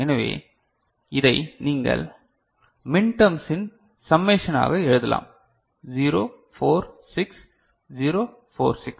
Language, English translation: Tamil, So, you can write this as a summation of these minterms 0 4 6, 0 4 6